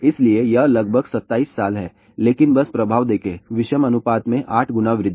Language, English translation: Hindi, So, that is about 27 years , but just see the effect, 8 times increase in the odd ratio